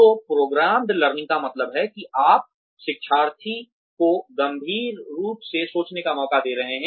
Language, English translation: Hindi, So, programmed learning means that you are giving the learner a chance to think critically, about the issue at hand